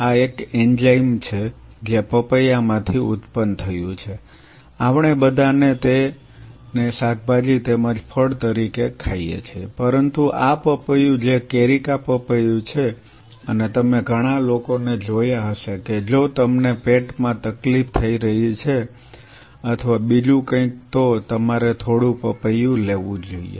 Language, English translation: Gujarati, This is one enzyme which is derived from papaya we all eat this as a vegetable as well as a fruit, but this papaya which is carica papaya and you must have seen many people say, if you are having a stomach upset or something or like you know you should take some papaya